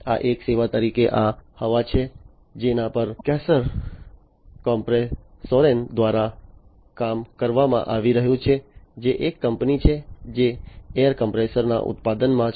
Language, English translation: Gujarati, This is this air as a service, which is being worked upon by Kaeser Kompressoren, which is a company which is into the manufacturing of air compressors